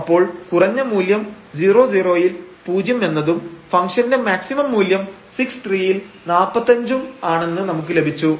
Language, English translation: Malayalam, So, we have the minimum value 0 and the maximum value of this problem is 35